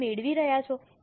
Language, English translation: Gujarati, Are you getting